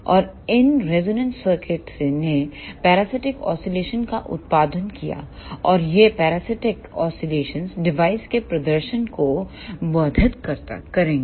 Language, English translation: Hindi, And these resonant circuits produced parasitic oscillations and these parasitic oscillations will import the performance of the device